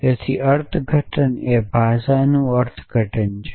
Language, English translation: Gujarati, So the interpretation is an interpretation of language